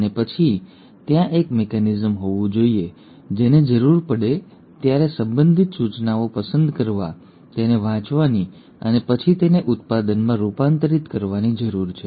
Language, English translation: Gujarati, And then there has to be a mechanism which needs to, as and when the need is, to pick up the relevant instructions, read it and then convert it into a product